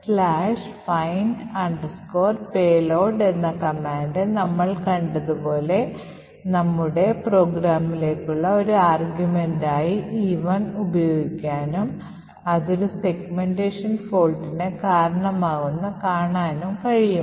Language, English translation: Malayalam, So, dot/findpayload and then as we have seen we can use E1 as an argument to our program vuln cat e1 and see that it has a segmentation fault